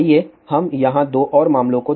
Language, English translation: Hindi, So, now let just look at different cases